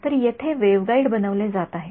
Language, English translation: Marathi, So, here the waveguide is being made